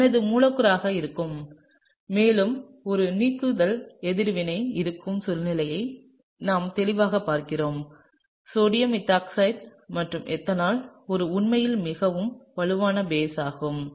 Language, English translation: Tamil, So, this is gonna be my molecule and clearly we are looking at a situation where there is an elimination reaction; sodium methoxide and ethanol is actually quite a strong basic system